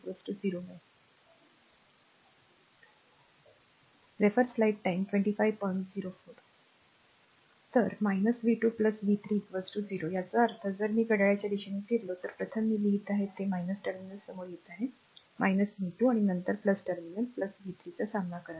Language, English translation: Marathi, So, minus v 2 plus v 3 is equal to 0; that means, if you move clock wise , ah first I am writing it is encountering minus terminal minus v 2 and then encountering plus terminal plus v 3